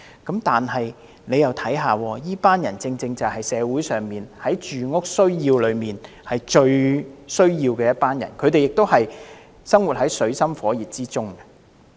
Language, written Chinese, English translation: Cantonese, 但請看看這群人，他們正是社會中在住屋需要上最需要幫助的，他們生活在水深火熱之中。, But please look at this group of people . They are acutely in need of housing assistance in this society and are all struggling in deep water